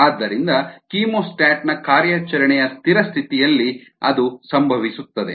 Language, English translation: Kannada, so that will happen under steady state conditions of operation of a chemostat